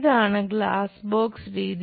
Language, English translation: Malayalam, So, let us use glass box method